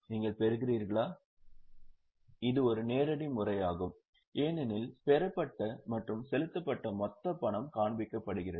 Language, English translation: Tamil, This is a direct method because the total amount of cash received and paid is shown